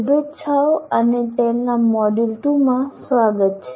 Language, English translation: Gujarati, Greetings and welcome to module 2 of tale